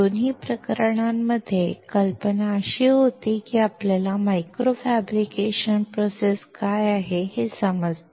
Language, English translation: Marathi, In both the cases, the idea was that we understand what micro fabrication process is